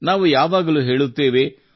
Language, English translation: Kannada, We always say